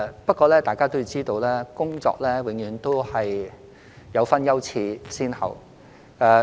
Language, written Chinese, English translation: Cantonese, 不過，大家要知道，工作必須有優次先後之分。, However as Members may be aware there are work priorities